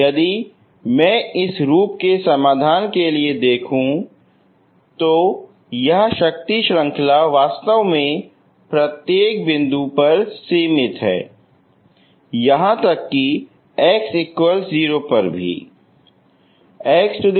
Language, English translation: Hindi, So you can see that this if I look for solutions of this form, this power series is actually finite at every point, even at x equal to 0